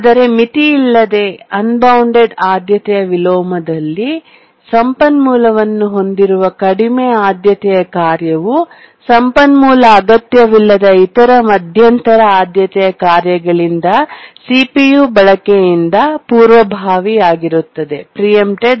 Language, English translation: Kannada, But then what really is a difficult problem is unbounded priority inversion, where the low priority task which is holding the resource is preempted from CPU uses by other intermediate priority tasks which don't need the resource